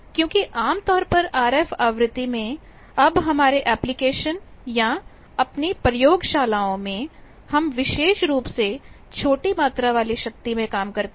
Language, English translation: Hindi, Because, generally in RF frequency in particularly now our applications we or in laboratories we deal with smaller amount of power